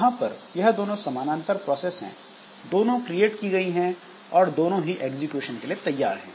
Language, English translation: Hindi, So, as they are two parallel processes that have been created and both are ready for execution